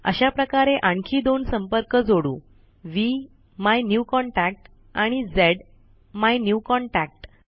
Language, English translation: Marathi, In the same manner lets add two more contacts VMyNewContact and ZMyNewContact